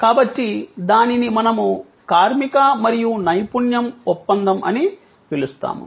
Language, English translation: Telugu, So, that is what we called labor and expertise contract